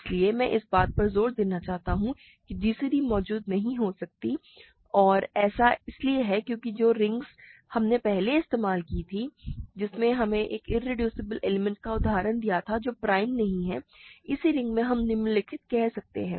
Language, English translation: Hindi, So, I want to stress that gcd may not exist, gcd may not exist and that is because, again the ring that we used earlier which gave us an example of an irreducible element that is not prime, in this same ring we can take the following